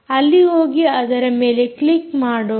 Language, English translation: Kannada, so lets go there and click on it